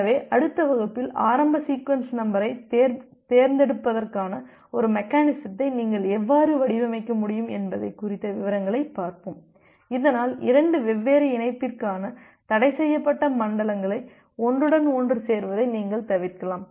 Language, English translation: Tamil, So, in the next class we will look into the details about how you can design a mechanism for selecting the initial sequence number so, that you can avoid the overlapping of the forbidden zones for two different connection